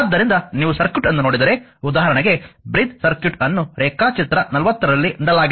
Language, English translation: Kannada, So, if you look at the circuit suppose for example, a bridge circuit is given in a your figure 40